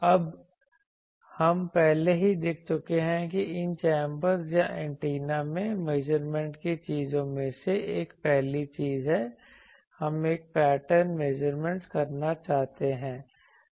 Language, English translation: Hindi, Now, we come that generally we have already seen that one of the measurement things in these chambers or antenna ranges is the first thing is we want to have a pattern measurement